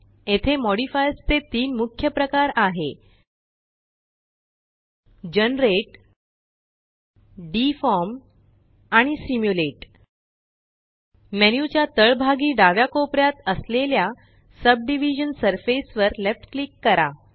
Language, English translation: Marathi, Here are three main types of modifiers Generate, Deform and Simulate Left click Subdivision surface at the bottom left corner of the menu